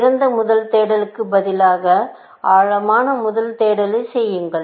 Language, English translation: Tamil, Instead of best first search, do depth first search